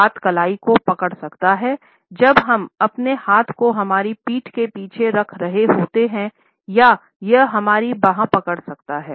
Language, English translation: Hindi, The hand may grip the wrist when we are holding our hands behind our back or it can also hold our arm